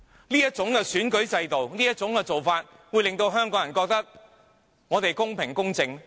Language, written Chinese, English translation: Cantonese, 對於這種選舉制度和做法，香港人會認為公平、公正嗎？, Do the people of Hong Kong consider this kind of election system and practice fair and impartial?